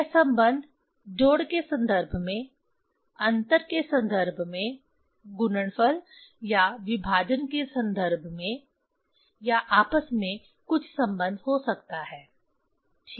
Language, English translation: Hindi, That relation can be in terms of summation, in terms of in terms of difference, in terms of multiplication, or division or together some relation ok